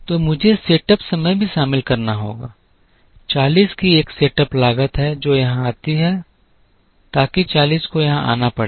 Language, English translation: Hindi, So, I have to include the setup time also, there is a setup cost of 40 which comes here so that 40 has to come here